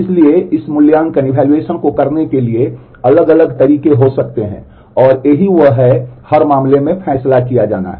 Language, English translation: Hindi, So, there could be different ways in which we can do this evaluation and that is what optimally has to be decided in every case